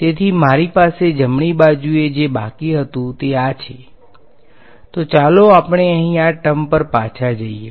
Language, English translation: Gujarati, So, what I was left with on the right hand side is so let us go back to this terms over here